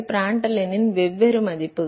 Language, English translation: Tamil, Different values of Prandtl number